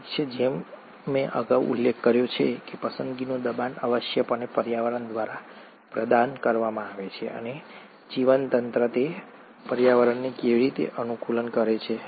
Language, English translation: Gujarati, Well, as I mentioned earlier, the selection pressure is essentially provided by the environment, and how does the organism adapt to that environment